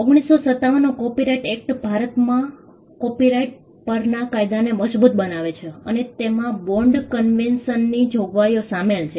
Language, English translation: Gujarati, The copyright act of 1957 consolidates the law on copyright in India and it incorporates provisions of the bond convention